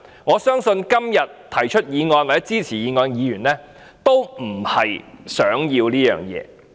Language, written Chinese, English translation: Cantonese, 我相信這不是今天提出或支持議案的議員想要的。, I do not think the Member who proposed this motion and Members who support this motion would like this to happen